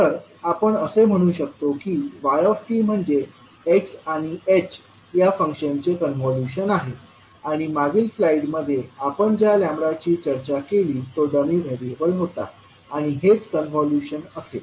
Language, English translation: Marathi, So we can say that basically the yt is convolution of x and h functions and the lambda which we discussed in the previous slide was dummy variable and this would be the convolution